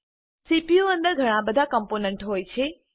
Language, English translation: Gujarati, There are many components inside the CPU